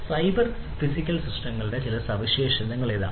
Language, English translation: Malayalam, So, here are some features of cyber physical systems